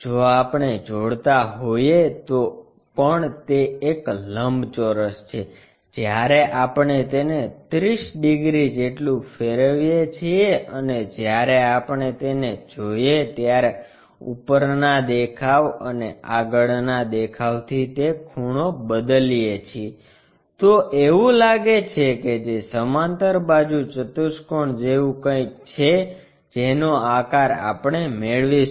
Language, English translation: Gujarati, If we are joining, so though it is a rectangle when we rotate it by 30 degrees and change that angle from top view and front view when we are looking at it, it looks like something namedparallelogram kind of shape we will get